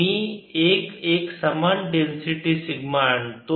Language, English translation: Marathi, i will be the inform density sigma